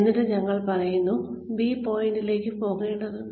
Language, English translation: Malayalam, And we say, we need to go to point B